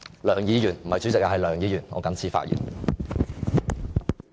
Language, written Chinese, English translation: Cantonese, 梁議員，不是主席，是梁議員，我謹此發言。, Mr LEUNG and I address him Mr LEUNG not the President I so submit